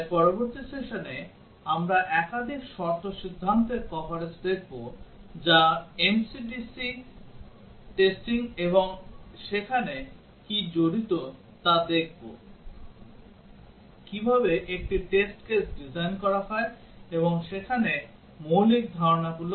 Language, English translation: Bengali, So in the next session, we will look at multiple condition decision coverage that is MCDC testing and see what is involved there, how a test case is designed, and what are the basic concepts there